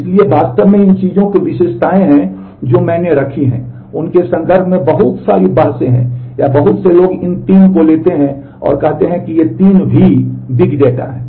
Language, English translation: Hindi, So, actually these things characteristics that I have put, there are lot of debates in terms of that or many people take these 3 and say that there these are the 3 V s of big data